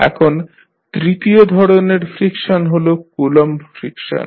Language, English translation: Bengali, Now, the third friction type is Coulomb friction